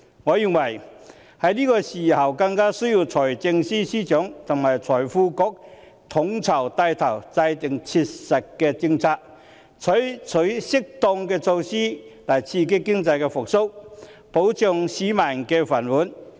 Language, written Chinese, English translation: Cantonese, 我認為在這個時候更需要財政司司長和財經事務及庫務局統籌，帶頭制訂切實的政策，採取適當的措施來刺激經濟復蘇，保障市民的"飯碗"。, I think that at this juncture there is a greater need for the Financial Secretary and the Financial Services and the Treasury Bureau to coordinate and spearhead the formulation of practical policies and the adoption of appropriate measures to stimulate economic recovery and protect peoples rice bowls